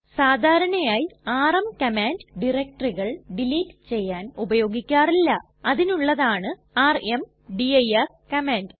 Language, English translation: Malayalam, rm command is not normally used for deleting directories, for that we have the rmdir command